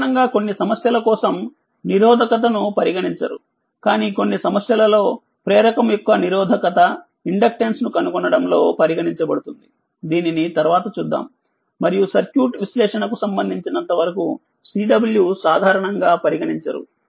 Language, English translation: Telugu, So, we only consider inductor resistance we generally not consider for some problem we also consider to find out the resistance and inductance of the inductor that we will see later and Cw generally we do not consider for our as far as our circuit is considered circuit analysis is concerned